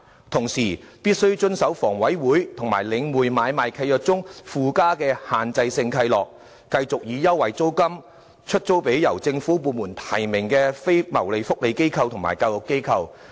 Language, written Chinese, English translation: Cantonese, 同時，新業主必須遵守房委會及領匯買賣契約中附加的"限制性契諾"，繼續以優惠租金把商鋪空間出租予由政府部門提名的非牟利社福及教育機構。, At the same time the new owners must comply with the Restrictive Covenant appended to the sale contracts signed between HA and The Link REIT to continue letting shop premises to non - profitable social welfare and education organizations nominated by government departments at concessionary rents